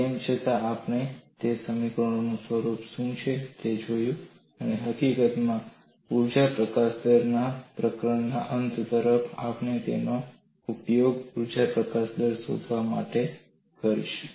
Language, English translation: Gujarati, Nevertheless, we looked at what is the nature of those expressions, and in fact towards the end of the chapter on energy release rate, we would use them to find out the energy release rate